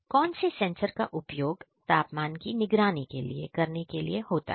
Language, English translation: Hindi, Which sensors are used for temperature monitoring